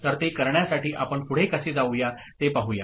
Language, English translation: Marathi, So, to do that, so let us see how we can go ahead